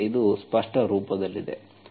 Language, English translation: Kannada, So this is in a clear form